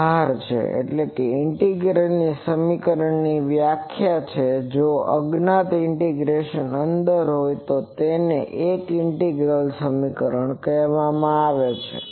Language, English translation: Gujarati, So, this is the definition of any integral equation that if the unknown is under in the integrand of an integration, then that is called an integral equation